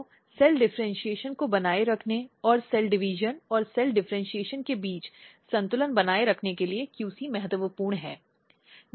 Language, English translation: Hindi, So, there are the next question comes that ok, QC is important for maintaining cell differentiation a balance between cell division and cell differentiation, this is crucial